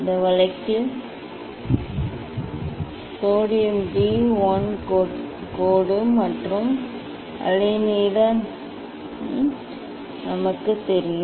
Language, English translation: Tamil, In this case the sodium D 1 line and wavelength is known to us